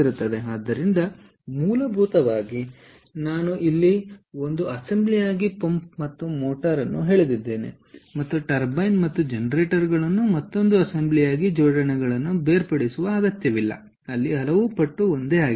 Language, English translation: Kannada, so essentially what i have drawn here pump and motor as one assembly and turbine and generators as another assembly is not necessarily to separate assemblies